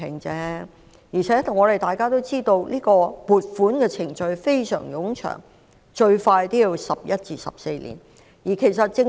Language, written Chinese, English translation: Cantonese, 況且大家都知道，撥款程序需時甚長，至少橫跨11至14年。, Besides we should all know that the funding process will take a long time and it might span over at least 11 to 14 years